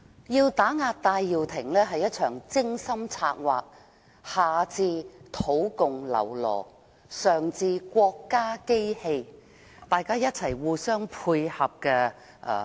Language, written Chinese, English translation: Cantonese, 要打壓戴耀廷是一場精心策劃的文革式運動，下至土共僂儸，上至國家機器，大家互相配合。, The suppression of Benny TAI is a well - planned Cultural Revolution - style campaign under the collaboration of indigenous communist lackeys and the state machine